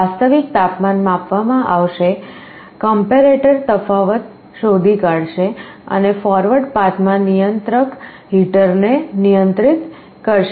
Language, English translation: Gujarati, The actual temperature will be sensed, the comparator will be finding a difference, and in the forward path the controller will be controlling a heater